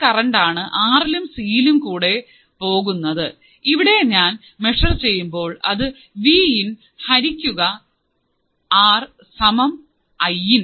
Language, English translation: Malayalam, Since the same current flows to R and C, as we have here, if I want to measure here , it will be Vin by R equals to Iin